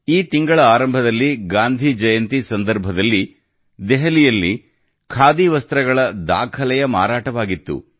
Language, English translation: Kannada, At the beginning of this month, on the occasion of Gandhi Jayanti, Khadi witnessed record sales in Delhi